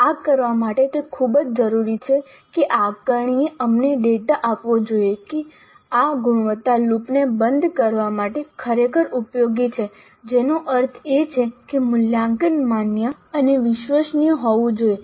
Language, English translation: Gujarati, And to do this it is very essential that the assessment must give us data which is really useful for us for closing this quality loop which essentially means that the assessment must be valid and reliable and that requires certain process to be followed